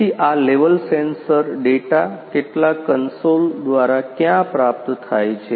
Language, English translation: Gujarati, So these level sensors the sensor data are all available through some console somewhere